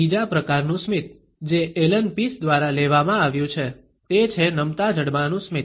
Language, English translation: Gujarati, The third type of a smile, which has been taken up by Allen Pease is the drop jaw smile